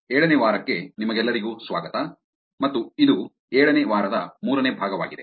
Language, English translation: Kannada, Welcome back to week 7 and this is the third part of the week 7